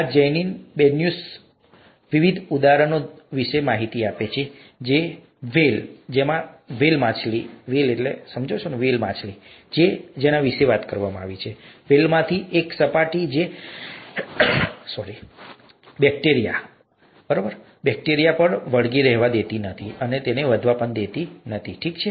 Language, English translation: Gujarati, In this Janine Benyus talks about various examples, you know, the whale, she talks about this, one of the whales has a surface which does not allow bacteria to stick and grow on them, okay